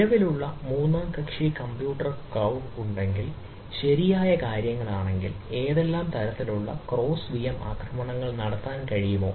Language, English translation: Malayalam, so i, if i am having existing third party compute cloud, is it possible to do ah to launch um, some sort of a ah cross vm attacks